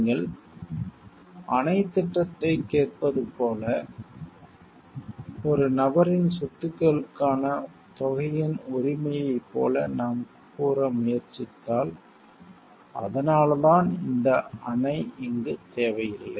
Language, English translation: Tamil, Like you listen to the dam project, if we tell like if we try to say like the person’s right to properties per amount, and then and that is why this dam is not required over here